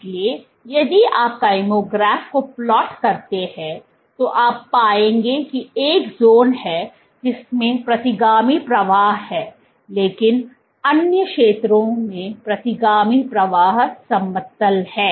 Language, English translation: Hindi, So, if you plot the kymograph what you will find is there is a zone in which you have retrograde flow, but in the other zones here retrograde flow is flat